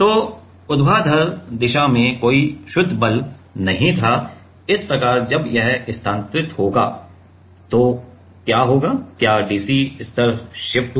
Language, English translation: Hindi, So, there was no net force in the vertical direction thus, at the as this move then, as this move then, what happened is there is a dc level shift right